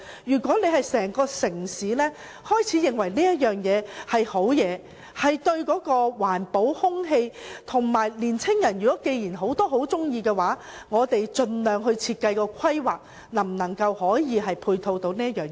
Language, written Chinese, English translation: Cantonese, 如果整個城市開始認為這是好事，有利環保和空氣，而很多年青人亦喜歡，那我們便應盡量在設計和規劃上，看看能否配合此事。, If the entire city starts to consider it as something good to environmental protection and the air quality and many young people also like it then we should try to see if we can facilitate this cause by all means in design and planning